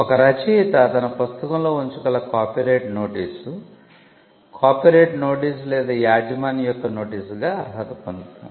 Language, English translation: Telugu, A copyright notice which an author can put in his or her book qualifies as a notice of copyright or notice of ownership